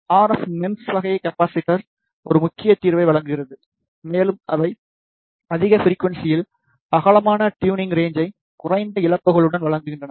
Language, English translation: Tamil, The RF MEMS type of capacitor provides a prominent solution and they provide the white tuning range at higher frequencies with relatively low losses